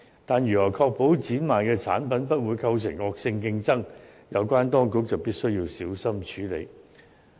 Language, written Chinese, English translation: Cantonese, 但是，如何確保展賣的產品不會構成惡性競爭，有關當局必須小心處理。, Nevertheless how to ensure the products displayed and offered will not constitute vicious competition is a question that must be handled by the authorities carefully